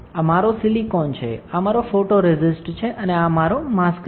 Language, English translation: Gujarati, So, this is my silicon, this is my photoresist, and this is my mask